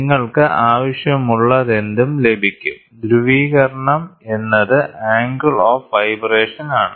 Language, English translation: Malayalam, So, then you get whatever requirements you want, polarisation is angle of vibration